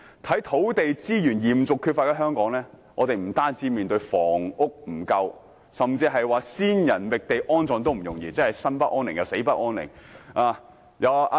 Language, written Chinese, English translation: Cantonese, 在土地資源嚴重缺乏的香港，我們不僅面對房屋不足，甚至連先人覓地安葬也不容易，以致生不安寧，死也無法安息。, Given the serious shortage of land resources in Hong Kong not only do we face an insufficient supply of housing we also find it hard to find a place to bury our ancestors . As a result there is no rest for the living and no peace for the dead